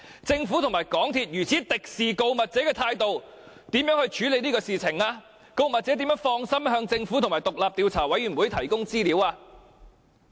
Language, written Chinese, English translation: Cantonese, 政府和港鐵公司以如此敵視告密者的態度處理事件，告密者怎能放心向政府和獨立調查委員會提供資料呢？, Since the Government and MTRCL have taken such a hostile attitude towards the whistle - blower in dealing with the incident how can the whistle - blower divulge information to the Government and the independent Commission of Inquiry with peace of mind?